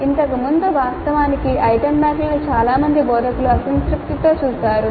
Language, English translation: Telugu, Earlier actually item banks were viewed with disfavor by most of the instructors